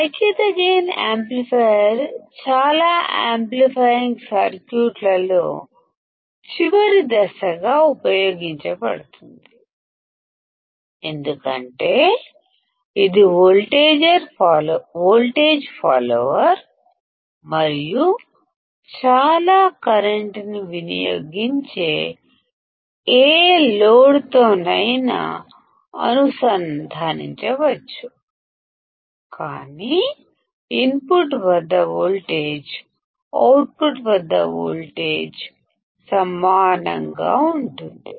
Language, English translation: Telugu, The unity gain amplifier is also used as the last stage in most of the amplifying circuits because it is a voltage follower and can be connected to any load which will draw lot of current, but the voltage at the input will be same at the output